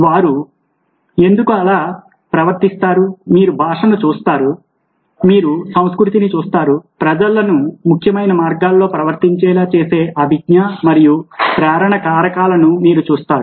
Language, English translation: Telugu, so you will look at language, you will look at culture, you will look at cognitive and motive factors which we make people behave in significant ways